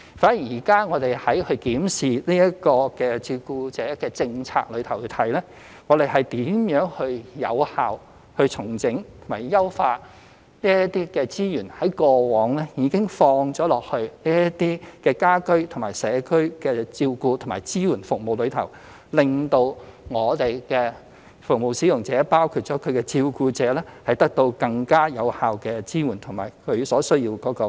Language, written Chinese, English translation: Cantonese, 反而現時我們從檢視照顧者政策而言，是如何有效整合及優化這些過往已投放在家居/社區照顧支援服務的資源，以令服務使用者包括其照顧者得到更加有效的支援及其所需要的培訓。, In reviewing the carer policy we will look at how resources that have been allocated for homecommunity care support services can be effectively consolidated and enhanced so that the service users including the carers can receive more effective support and the necessary training